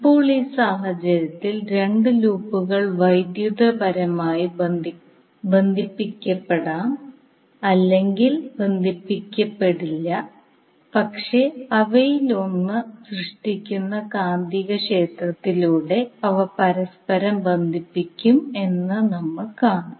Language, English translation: Malayalam, Now in this case we will see when the two loops which may be or may not be connected electrically but they are coupled together through the magnetic field generated by one of them